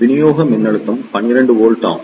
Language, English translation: Tamil, The supply voltage is 12 volt